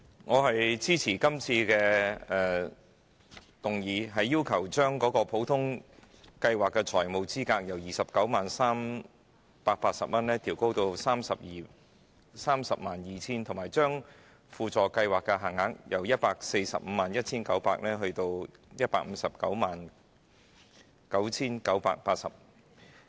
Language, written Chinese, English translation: Cantonese, 我支持今次的議案，將普通計劃的財務資格由 290,380 元上調至 302,000 元，以及將輔助計劃的限額由 1,451,900 元上調至 1,509,980 元。, I support this motion which seeks to increase the financial eligibility limit FEL under the Ordinary Legal Aid Scheme OLAS from 290,380 to 302,000 and FEL under the Supplementary Legal Aid Scheme SLAS from 1,451,900 to 1,509,980